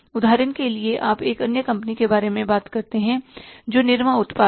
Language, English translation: Hindi, For example, you talk about another company that is Nirma products, Nirma India Limited